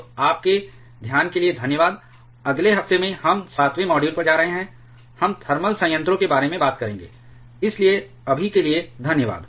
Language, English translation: Hindi, So, thanks for your attention, in the next week we shall be moving to the 7th module we shall be talking about the thermal reactors; so, bye for now